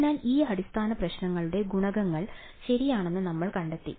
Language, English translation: Malayalam, So, what we ended up finding out were the coefficients of these basis functions right